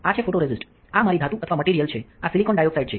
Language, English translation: Gujarati, So, these are photoresist, this is my metal or material this is silicon dioxide